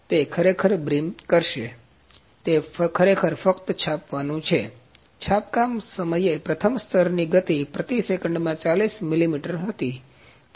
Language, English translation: Gujarati, So, it is actually while brim the, it is actually the printing only, while printing the speed of the first layer was 40 millimetres per second